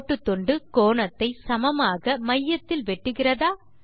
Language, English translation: Tamil, Does the line segment bisect the angle at the centre